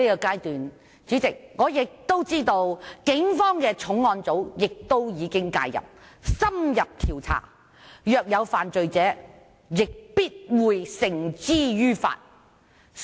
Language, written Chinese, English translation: Cantonese, 代理主席，我知道警方的重案組在此階段已經介入，進行深入調查，若有人犯罪亦必會將其繩之於法。, Deputy President I know that at this stage the Organized Crime and Triad Bureau of the Police is conducting an in - depth investigation into the incident . People who have committed any crime will be brought to justice